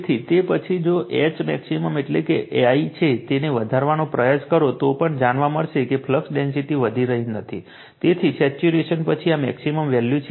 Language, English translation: Gujarati, So, after that even if you increase your you try to increase H max that is I, you will find that flux density is not increasing, so this is the maximum value after saturation right